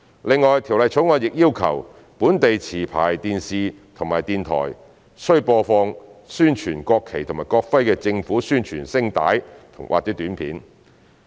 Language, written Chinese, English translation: Cantonese, 另外，《條例草案》亦要求本地持牌電視台及電台，須播放宣傳國旗及國徽的政府宣傳聲帶或短片。, In addition the Bill also requires domestic television programme service licensees and sound broadcasting service licensees to promote the national flag and national emblem in the government announcements or materials that are in the public interest